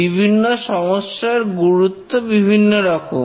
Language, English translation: Bengali, The different failures have different severity